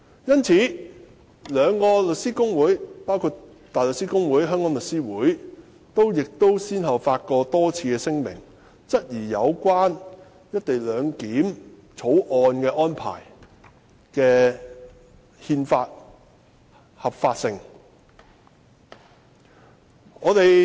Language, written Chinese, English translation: Cantonese, 因此，香港大律師公會及香港律師會均先後多次發表聲明，質疑《條例草案》的合憲性。, Therefore the Hong Kong Bar Association and The Law Society of Hong Kong have respectively issued a number of statements questioning the constitutionality of the Bill